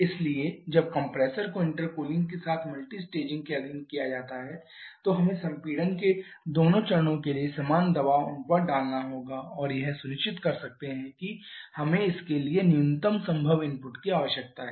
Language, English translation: Hindi, So, when the compressor requires or when the compressor is subjected to multi staging with intercooling then we have to put identical pressure ratio for both the stages of compression and that can ensure that we need the minimum possible work input requirement for this